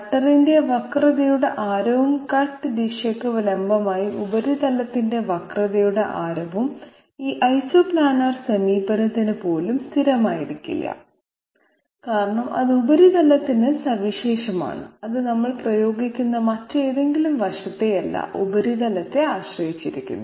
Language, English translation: Malayalam, The what you call it the radius of curvature of the cutter and the radius of the curvature of the surface perpendicular to the direction of cut that is not going to be constant for even this Isoplanar approach because that is unique to the surface, it depends on the surface not on any other aspect that we are applying